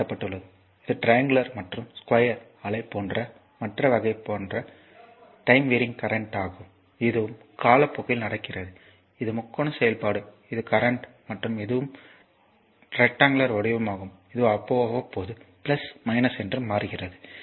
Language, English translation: Tamil, 4; that means, this one such the other types of time warring current such as the triangular and square wave, this is also time warring current this is triangular function this is current and this is also it is rectangular one, this is also changing periodically